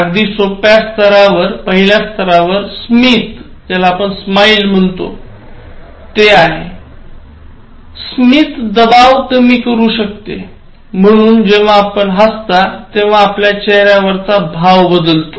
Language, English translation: Marathi, At a very simple level, smile can reduce pressure, so as they say when you smile, they say smile, it improves your face value